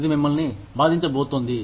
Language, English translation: Telugu, It is going to hurt you